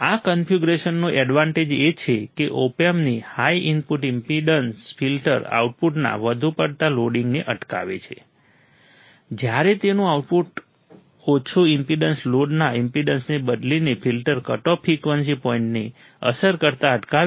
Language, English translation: Gujarati, The advantage of this configuration is that Op Amp's high input impedance prevents excessive loading of the filter output while its low output impedance prevents a filter cut off frequency point from being affected by changing the impedance of the load